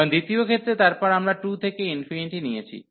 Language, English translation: Bengali, And in the second case, then we have taken from 2 to infinity